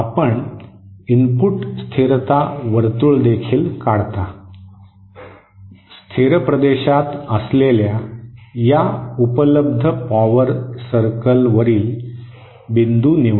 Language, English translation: Marathi, You also draw the input stability circle, select a point on this available power gain circles that lies in the stable region